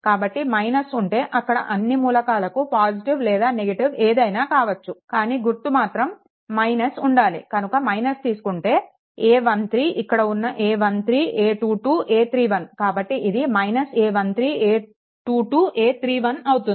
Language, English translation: Telugu, So, minus means that your this elements will be plus minus, it does not matter the sign should be minus then minus you take the a 1 3, this is a a 1 3, a 2 2, a 3 1 so, it is a 1 3 a 2 2 a 3 1, right